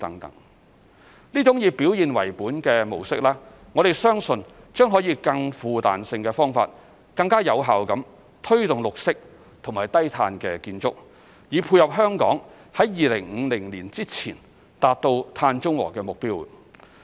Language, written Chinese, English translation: Cantonese, 這種以表現為本的模式，我們相信將可以更富彈性的方法，更有效地推動綠色和低碳建築，以配合香港在2050年前達至碳中和的目標。, We believe that this performance - based approach will promote green and low - carbon buildings in a more flexible and effective manner which complements our target to achieve carbon neutrality before 2050 in Hong Kong